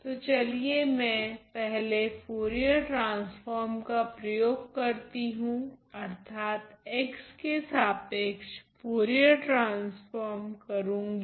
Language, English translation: Hindi, So, let me first apply Fourier transform; Fourier transform with respect to the variable x here ok